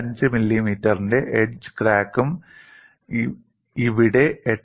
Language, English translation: Malayalam, 5 millimeter here, another edge crack of 8